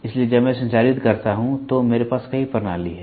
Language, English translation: Hindi, So, when I transmit I also have multiple channels and then